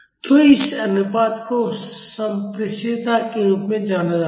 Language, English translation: Hindi, So, this ratio is known as the transmissibility